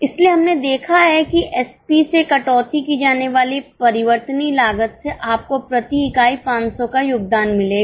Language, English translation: Hindi, So, we have seen that variable cost to be deducted from SP, you will get contribution per unit of 500